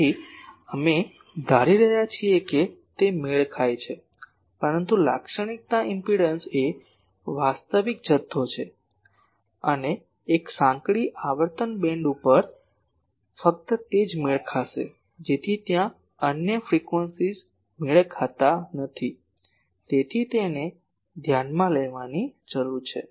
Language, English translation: Gujarati, So, we are assuming it is matched, but characteristic impedance is a real quantity and over a narrow frequency band only it will be matched that other frequencies there will be a mismatch so, that needs to be take into account